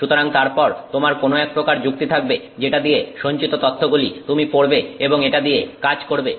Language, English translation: Bengali, So, and then you have some logic by which you read that storage and then do something with it